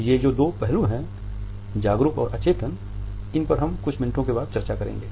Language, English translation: Hindi, These two aspects that is the conscious and unconscious ones we would discuss after a couple of minutes